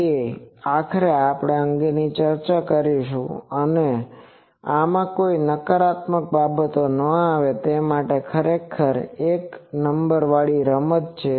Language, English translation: Gujarati, He actually we were discussing this what he said that let us do not have any negative things actually that is a numbering game